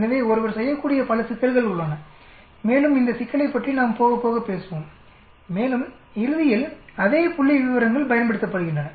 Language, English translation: Tamil, So there are many problems which one can do and we will talk about this problem as we go along and ultimately, the same statistics is used